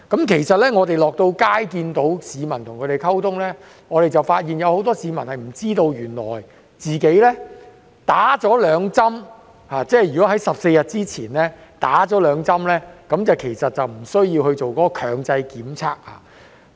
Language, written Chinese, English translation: Cantonese, 其實，當我們落區與市民溝通時，發現有很多市民都不知道，如他們在14天前已接種兩劑疫苗，便不需要進行強制檢測。, In fact when we communicated with members of the public during our visits to the districts we found that many of them did not know that they would not be subject to compulsory testing if they had been administered with two doses of COVID - 19 vaccine 14 days ago